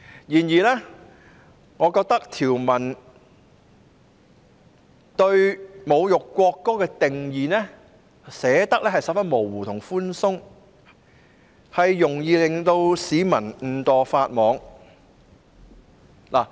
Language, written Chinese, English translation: Cantonese, 然而，我認為條文對侮辱國歌的定義寫得相當模糊和寬鬆，容易令市民誤墮法網。, But in my view the provisions on the definition of insulting the national anthem are very vague and loose thus making it easy for members of the public to contravene the law inadvertently